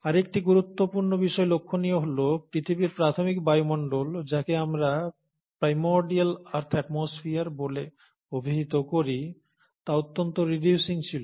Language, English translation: Bengali, The other important thing to note is that the initial earth’s atmosphere, which is what we call as the primordial earth’s atmosphere, was highly reducing